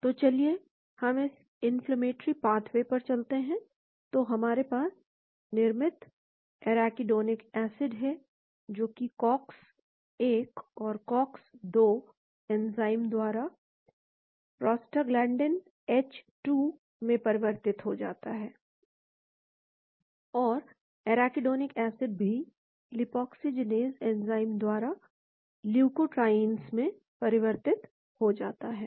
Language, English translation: Hindi, , so let us go to this inflammatory pathway, so we have the Arachidonic acid produced which gets converted to prostaglandin H2 by the Cox 1 and Cox 2 enzymes and Arachidonic acid also getting converted to the leukotrienes by the lipoxygenase enzymes